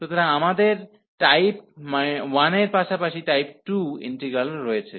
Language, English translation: Bengali, So, we have the integral of type 1 as well as type 2